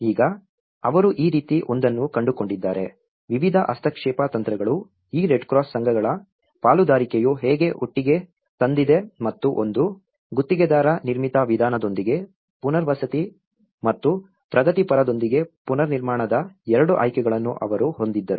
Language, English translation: Kannada, So now, this is how they come up with one is, the various intervention strategies, how the partnership of this Red Cross associations have brought together and one is, they had 2 options of resettlement with the contractor built approach and reconstruction with the progressive housing approach how they come together and how they make it in a progressive approach